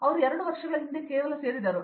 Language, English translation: Kannada, So, he just joined just before 2 years back